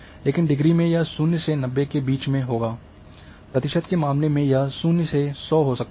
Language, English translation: Hindi, Because, in case of degree it is 0 to 90, in case of percentage it is going to be 0 to 100